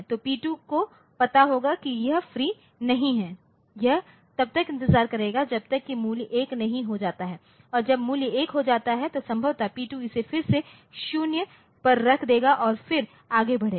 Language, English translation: Hindi, So, P2 will know that it is not free so, it will wait until the value becomes 1 and when the value becomes 1 then possibly P2 will put it to 0 again and then proceed